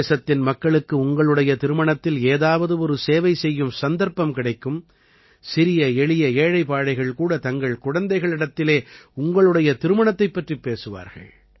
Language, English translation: Tamil, The people of the country will get an opportunity to render some service or the other at your wedding… even poor people will tell their children about that occasion